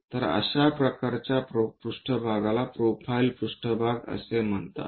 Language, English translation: Marathi, So, such kind of planes are called profile planes